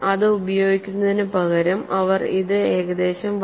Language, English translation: Malayalam, 12 instead of using this, they have approximated this as 1